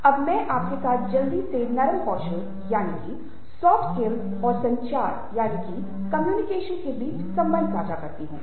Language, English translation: Hindi, now let me share quickly with you the relationship between soft skills and communication